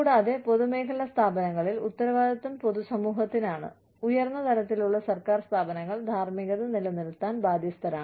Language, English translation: Malayalam, And, in public sector organizations, the accountability is to the general public, and higher level government organizations, are responsible for maintaining the ethics